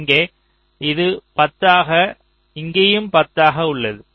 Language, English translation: Tamil, here also it is ten, here also it is ten